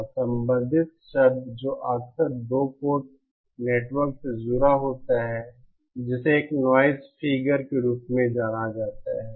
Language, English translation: Hindi, And related term that is often associated with 2 port networks is what is known as a noise figure